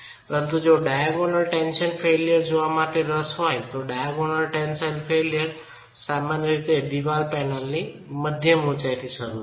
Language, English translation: Gujarati, But if you are interested to look at the diagonal tension failure, diagonal tension failure would typically begin from the mid height of the wall panel itself